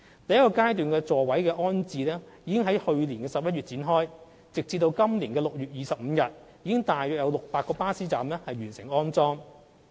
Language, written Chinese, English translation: Cantonese, 第一階段的座椅安裝工作已於去年11月展開，截至今年6月25日，已有約600個巴士站完成安裝。, The first phase of seat installation commenced in November last year . As at 25 June 2018 installation was completed at around 600 bus stops